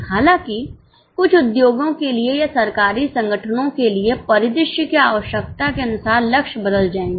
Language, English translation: Hindi, However, for certain industries or for government organizations, as per the need of the scenario, the targets will change